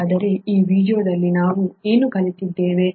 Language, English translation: Kannada, So what have we learnt in this video